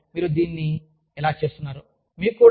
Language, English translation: Telugu, I do not know, how you are doing it